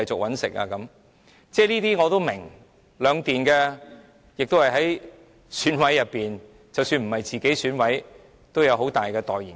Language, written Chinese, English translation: Cantonese, 我是明白的，兩電是選舉委員會委員，即使不是自己當選委，也有勢力很大的代言人。, I understand this . The two power companies are members of the Election Committee . Even though they are not members themselves; they have influential people as their representatives